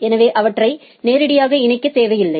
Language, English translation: Tamil, So, they do not need to be directly connected